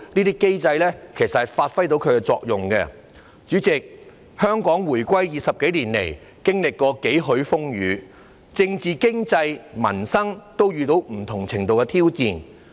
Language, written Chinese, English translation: Cantonese, 主席，自香港20多年前回歸以來，經歷過幾許風雨，政治經濟民生都遇到不同程度的挑戰。, President ever since Hong Kongs reunification more than two decades ago Hong Kong has experienced many trials and tribulations and be it in politics the economy or public livelihood it has encountered challenges of various magnitudes